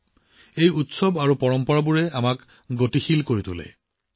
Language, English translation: Assamese, These festivals and traditions of ours make us dynamic